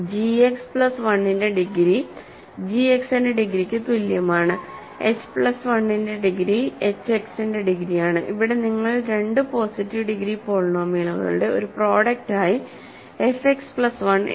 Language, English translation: Malayalam, So, the degree of g X plus 1 is same as degree of g X, degree of h plus 1 is degree of h X and here you have written f X plus 1 as a product of two positive degree polynomials